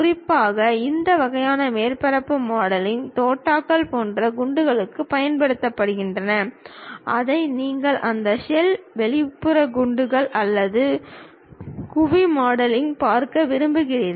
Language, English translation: Tamil, Especially, this kind of surface modelling is used for shells like bullets you would like to really see it on that shell, outer shells or domes that kind of objects